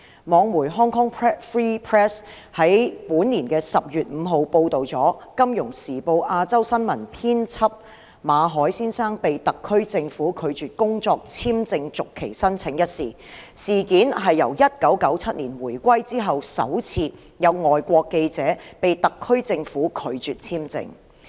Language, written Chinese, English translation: Cantonese, 網媒 Hong Kong Free Press 在本年10月5日報道《金融時報》亞洲新聞編輯馬凱先生被特區政府拒絕工作簽證續期申請一事，這是自1997年回歸之後，首次有外國記者被特區政府拒發簽證。, The online media Hong Kong Free Press reported on 5 October that the SAR Government refused to renew the work visa of Mr Victor MALLET Asia news editor of the Financial Times . It was the first time after the reunification in 1997 that a foreign journalists visa application was turned down by the SAR Government